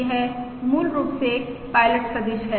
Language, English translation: Hindi, this is basically the pilot vector, This is basically a pilot vector